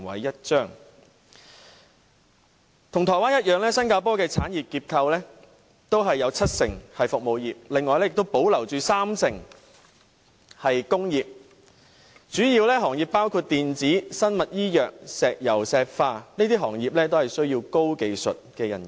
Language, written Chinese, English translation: Cantonese, 與台灣一樣，新加坡的產業結構有七成是服務業，另外三成是工業，主要行業包括電子、生物醫藥、石油石化，都需要高技術人員。, As in the case of Taiwan the service industry in Singapore constitutes 70 % of its industrial structure . The remaining 30 % is made up of industries mainly including the electronic industry the biopharmaceutical industry as well as the petroleum and petrochemical industry . All these industries require highly technical personnel